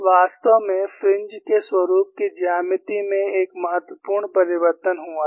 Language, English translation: Hindi, There is no major change in the geometry of the fringe pattern